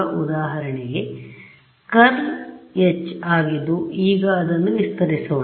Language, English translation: Kannada, So, for example, the curl of H right; so, let us expand it out